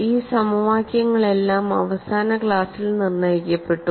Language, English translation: Malayalam, And these were also defined, all these equations were determined in the last class